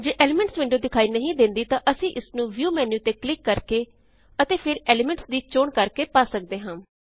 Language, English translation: Punjabi, If you dont see the Elements window, we can access it by clicking on the View menu and then choosing Elements